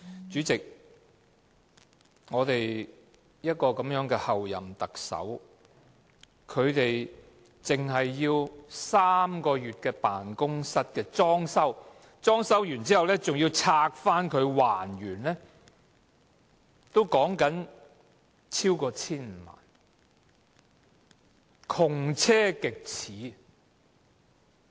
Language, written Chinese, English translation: Cantonese, 主席，我們的候任特首僅使用3個月的辦公室的裝修開支，以及裝修後拆卸還原的開支，竟可超過 1,500 萬元，窮奢極侈。, Chairman the expenditure for the Office of the Chief Executive - elect which will only be used for three months on fitting out and reinstatement works exceeds 15 million